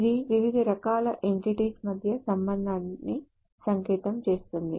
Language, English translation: Telugu, It encodes the relationship between different types of entities